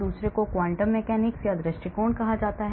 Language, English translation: Hindi, the other one is called the quantum mechanics approach